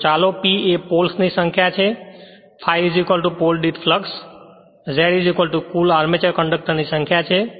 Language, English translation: Gujarati, So, let P is the number of poles, and phi is equal to flux per pole, Z is equal to total number armature conductors